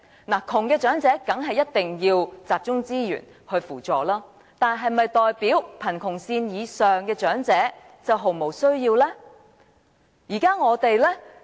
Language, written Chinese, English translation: Cantonese, 貧窮長者當然一定要集中資源扶助，但是否代表貧窮線以上的長者卻毫無需要呢？, Of course poor elderly persons need assistance with concentrated resources but does it mean that those living above the poverty line have no need at all?